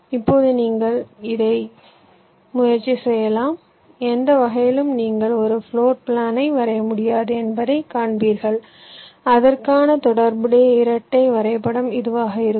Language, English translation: Tamil, now you can try it out in any way, you will see that you cannot draw a floor plan for which the corresponds dual graph will be this